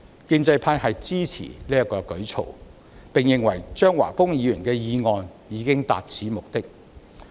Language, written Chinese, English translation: Cantonese, 建制派支持這個舉措，並認為張華峰議員的議案已達此目的。, The pro - establishment camp supports this move and considers that Mr Christopher CHEUNGs motion has served this purpose